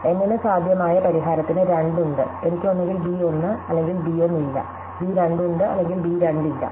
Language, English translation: Malayalam, So, there are 2 to the N possible solutions, I could either have b 1 or not b 1, have b 2 or not have b 2